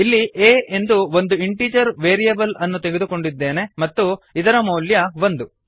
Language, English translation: Kannada, Here, I have taken an integer variable a that holds the value 1